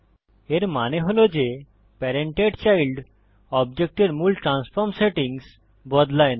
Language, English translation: Bengali, This means that parenting does not change the original transform settings of the child object